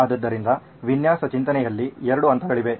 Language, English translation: Kannada, So there are two phases in design thinking